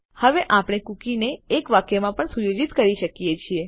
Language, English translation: Gujarati, Now we can also set a cookie in a single sentence